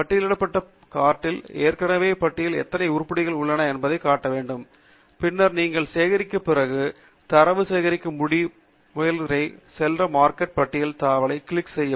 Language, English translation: Tamil, The Marked List cart then should show how many items are there in the list already, and then, once you are done collecting, click on the Marked List tab to proceed to the three step process of collecting the data